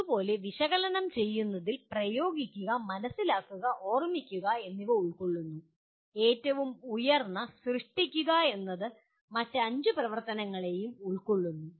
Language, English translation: Malayalam, Similarly analyze will involve apply, understand and remember and the highest one is create can involve all the other 5 activities